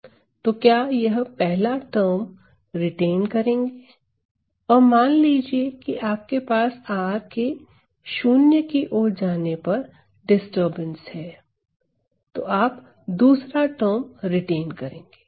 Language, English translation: Hindi, Then, you are going to retain this first term and suppose you are, you have some disturbance at r equal to 0, then you are going to retain the second term